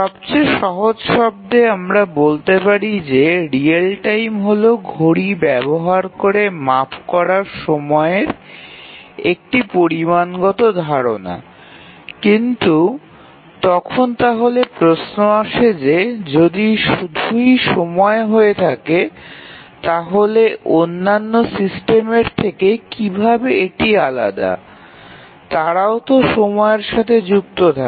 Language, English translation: Bengali, Actually in the simplest term we can say that real time is a quantitative notion of time measured using a physical clock, but then we will have the question that then this is time, so how is it different from other systems, they also deal with time